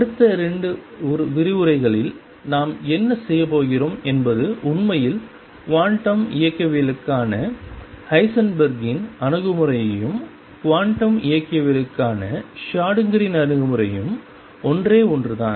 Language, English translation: Tamil, What we are going to do in the next 2 lectures is learned that actually Heisenberg’s approach to quantum mechanics and Schrodinger’s approach to quantum mechanics are one and the same thing